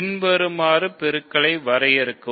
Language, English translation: Tamil, So, define multiplication by the following